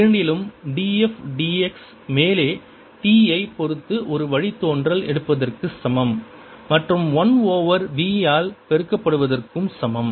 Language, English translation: Tamil, in both i can say that d f d x in the upper one is equivalent, taking a derivative with respect to t and multiplying by v